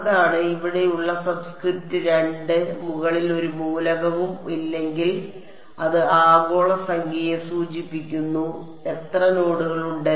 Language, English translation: Malayalam, That is what the subscript two over here, if there is no element over here on top then it refers to the global number how many nodes are there